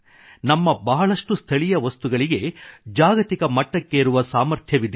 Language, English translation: Kannada, Many of our local products have the potential of becoming global